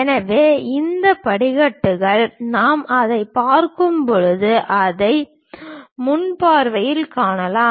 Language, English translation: Tamil, So, these stairs, we can see it in the front view when we are looking at it